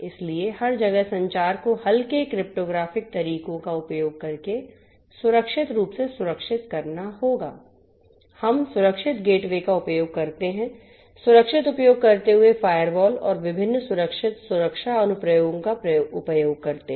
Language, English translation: Hindi, So, the communication you know the communication everywhere will have to be secured suitably using lightweight cryptographic methods, we using gateways secured gateways, using secured, using firewalls and different secure security applications